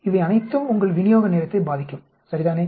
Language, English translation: Tamil, All these are going to affect your delivery time, right